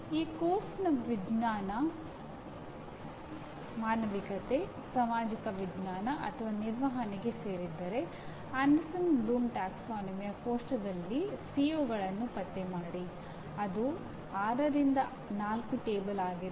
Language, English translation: Kannada, If the course belongs to sciences, humanities, social sciences or management locate COs in Anderson Bloom taxonomy table that is 6 by 4 table